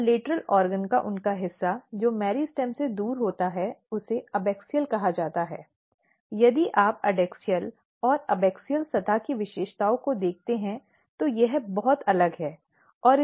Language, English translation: Hindi, And the part of them on the lateral organ which is away from the meristem is called abaxial, and if you look the features of adaxial and abaxial surface, it is very different